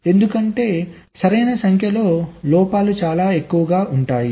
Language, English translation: Telugu, right number of faults can be too many